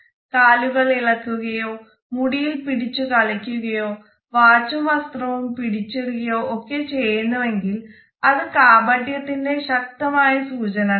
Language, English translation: Malayalam, Are they shuffling the feet or playing with the hair or massing with the watch or clothing, all these could be potential signs of deceit